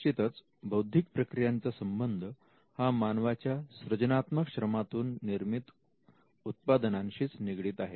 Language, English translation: Marathi, Currently an intellectual process is confined to the products that come out of human creative labour